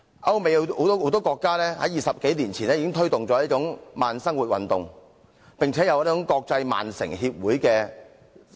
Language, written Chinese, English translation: Cantonese, 歐美有很多國家在20多年前已推動這種慢生活運動，並且設立了國際慢城組織。, Many European countries and the United States started promoting the slow movement 20 years ago and set up Cittaslow International